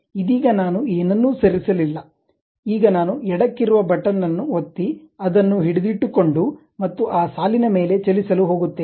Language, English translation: Kannada, Right now I did not move anything, now I am going to click left button, hold that, and move over that line